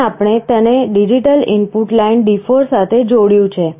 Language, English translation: Gujarati, Here, we have connected it to the digital input line D4